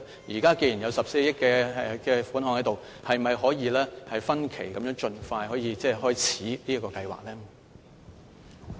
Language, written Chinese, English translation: Cantonese, 現時既然有14億元款項，是否可以分期盡快開始這個計劃呢？, Since there is still 1.4 billion left can the Government expeditiously implement this project by phases?